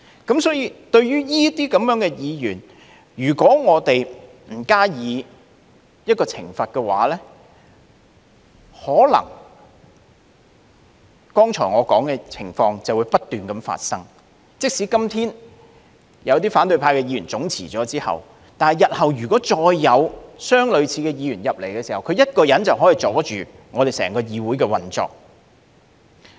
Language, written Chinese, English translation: Cantonese, 因此，對於這些議員，如果我們不懲罰他們，可能剛才我說的情況便會不斷發生，即使今天有些反對派議員總辭，但日後如果再有相類似議員加入議會，他一人便可以阻礙整個議會的運作。, So speaking of such Members if we do not impose any penalties on them the cases I talked about just now may persist . Despite the resignation en masse of certain opposition Members today the operation of the whole legislature may still be hindered solely by anyone like them who joins the legislature in the future